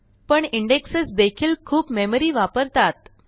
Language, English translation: Marathi, But indexes also can take up a lot of memory